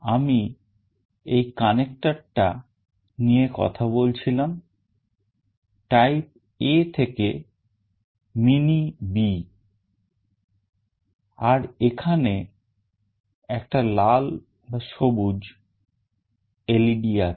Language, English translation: Bengali, Here is the connector I was talking about, type A to mini B, and there is a red/green LED